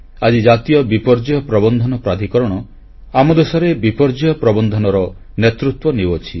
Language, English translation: Odia, Today, the National Disaster Management Authority, NDMA is the vanguard when it comes to dealing with disasters in the country